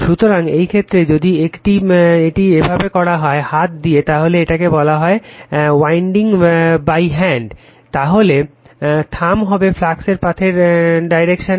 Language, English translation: Bengali, So, in this case if you make it like this by right hand, if you grab this way your what you call this winding by right hand, then thumb will be the direction of the flux path